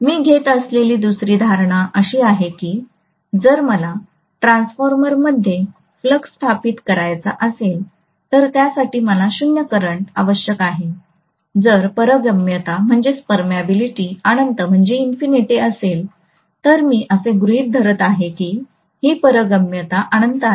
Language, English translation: Marathi, The second assumption that I am going to make is that if I want to establish a flux in the transformer, I will require literally 0 current, if the permeability is infinity